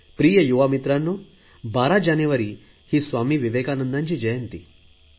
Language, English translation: Marathi, Dear young friends, 12th January is the birth anniversary of Swami Vivekananda